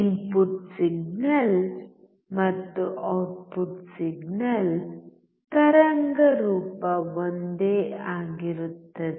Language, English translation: Kannada, Input signal and output signal waveform would be same